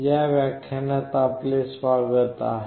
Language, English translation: Marathi, Welcome to the next lecture